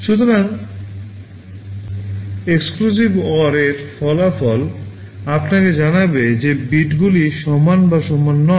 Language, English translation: Bengali, So, the result of an exclusive OR will tell you whether the bits are equal or not equal